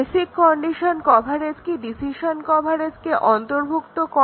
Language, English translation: Bengali, Will basic condition coverage subsume decision coverage